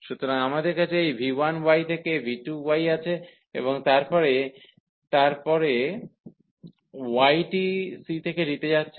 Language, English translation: Bengali, So, we have v 1 y to this v 2 y and then in the y we are going here from c to d